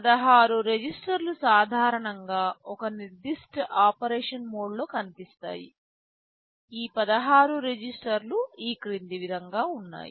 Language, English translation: Telugu, 16 registers are typically visible in a specific mode of operation; these 16 registers are as follows